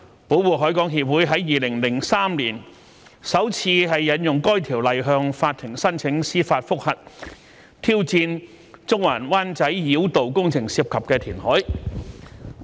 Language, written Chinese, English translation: Cantonese, 保護海港協會於2003年首次引用該條例向法庭申請司法覆核，挑戰中環及灣仔繞道工程涉及的填海。, In 2003 the Society for Protection of the Harbour Limited invoked the Ordinance for the first time to apply to the court for a judicial review so as to challenge reclamation involved in the Central - Wan Chai Bypass project